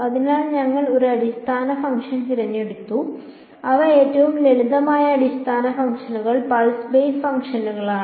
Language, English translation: Malayalam, So, we have chosen a basis function which are the simplest basis functions pulse basis functions